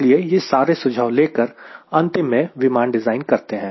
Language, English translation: Hindi, so all those inputs are to be taken to finally design an airplane